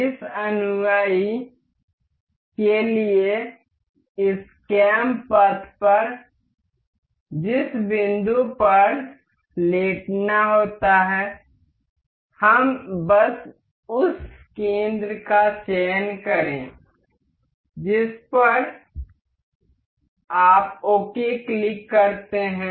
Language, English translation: Hindi, For this follower the point that has to be lying over this this cam path, let us just select the center you click ok